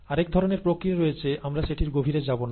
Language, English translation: Bengali, There are other kinds of operation, we will not get into that